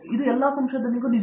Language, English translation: Kannada, So, that is what research is all about